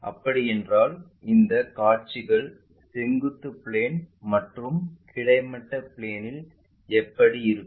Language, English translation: Tamil, If that is the case how these views really look like on vertical plane and horizontal plane